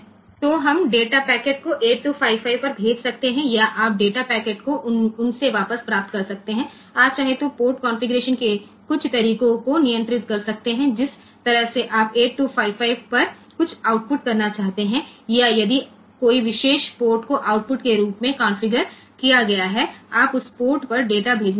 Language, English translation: Hindi, So, we can send data packet to the 8255, or you can get the data packet back from them like, you may want to control some of the port configuration that way you want to output something to the 8255, or if a particular port is configured as output